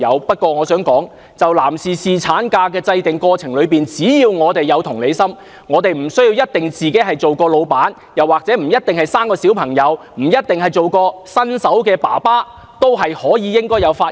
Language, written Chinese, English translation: Cantonese, 但我想指出，就着男士侍產假的制訂，只要我們有同理心，無需有做過老闆、生育小孩或擔任新手爸爸的經驗，也應該要發言。, But I wish to point out concerning the question of paternity leave even if we are not employees have not given birth or do not have newborn babies we can also speak on this issue as long as we have empathy